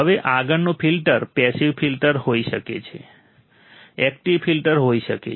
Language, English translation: Gujarati, Now, next is filters can be passive filters, can be active filters